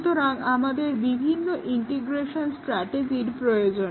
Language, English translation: Bengali, So, we need different integration strategies